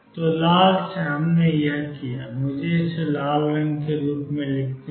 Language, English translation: Hindi, So, from red we have done this one let me write this one as red